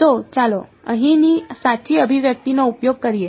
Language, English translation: Gujarati, So, let us use the correct expression of here